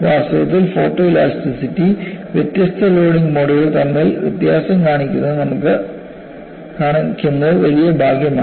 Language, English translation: Malayalam, In fact, it is so fortuitous that photo elasticity has shown difference between different modes of loading